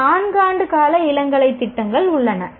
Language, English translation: Tamil, There are some four year duration undergraduate programs